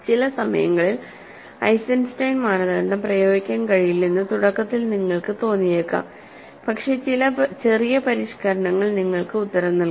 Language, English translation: Malayalam, Sometimes, it might appear like initially you do not have you initially you might think that you cannot apply Eisenstein criterion, but some small modification works to give you the answer